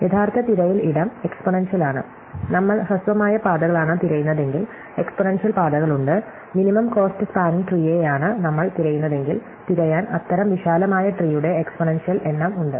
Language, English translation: Malayalam, The actual search space is exponential, if we are looking for shortest paths, there are an exponential number of paths, if we are looking for a minimum cost spanning tree, there are an exponential number of such spanning trees to search through